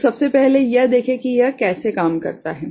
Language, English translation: Hindi, So, let us see how it works